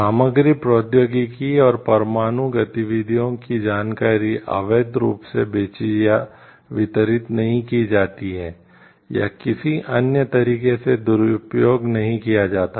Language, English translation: Hindi, Materials technology and information regarding nuclear activities are not illegally sold, or distributed, or otherwise misused